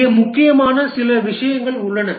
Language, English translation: Tamil, There are few things which are important here